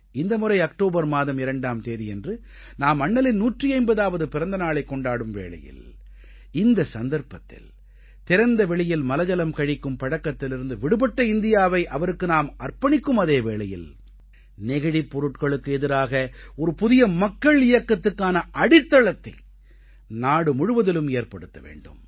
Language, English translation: Tamil, This year, on the 2nd of October, when we celebrate Bapu's 150th birth anniversary, we shall not only dedicate to him an India that is Open Defecation Free, but also shall lay the foundation of a new revolution against plastic, by people themselves, throughout the country